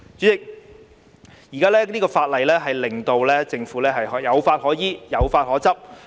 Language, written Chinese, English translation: Cantonese, 代理主席，這項《條例草案》令政府有法可依、有法可執。, Deputy President this Bill will provide the Government with the legal backing for regulation and enforcement